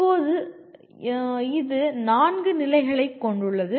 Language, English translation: Tamil, Now it consists of 4 stages